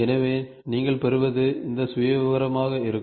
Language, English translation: Tamil, So, what you get will be this profile